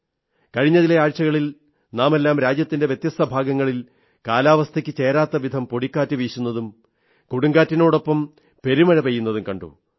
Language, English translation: Malayalam, In the past few weeks, we all witnessed that there were dust storms in the different regions of the country, along with heavy winds and unseasonal heavy rains